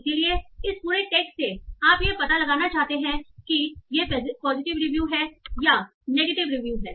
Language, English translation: Hindi, So from this whole text, you want to find out whether this is a positive review or negative review